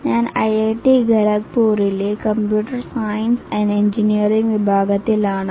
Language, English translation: Malayalam, I belong to the computer science and engineering department of IIT Khodopur